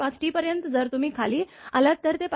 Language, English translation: Marathi, 5 T, above that if you come below that it is more than 5